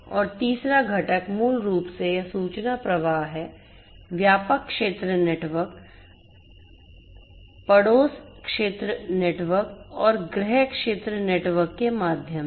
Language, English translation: Hindi, And the third component is basically this information flow, through the wide area network, neighborhood area network and the home area network